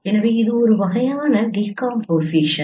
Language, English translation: Tamil, So this is a kind of decomposition